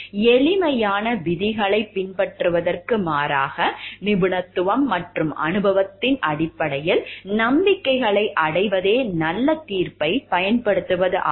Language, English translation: Tamil, Exercising good judgment means arriving at beliefs on the basis of expertise and experience as opposed to merely following simple rules